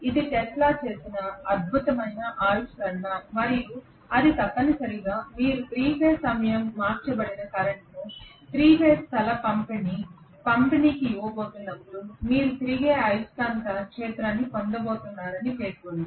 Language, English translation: Telugu, This is the brilliant discovery made by Tesla and this essentially states that when you are going to give a 3 phase time shifted current to a 3 phase space distributed winding you are going to get a revolving magnetic field okay